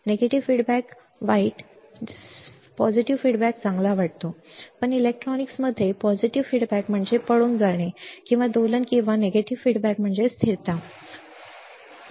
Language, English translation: Marathi, Negative feedback seems bad positive good, but in electronics positive feedback means run away or oscillation and negative feedback means stability; stability, all right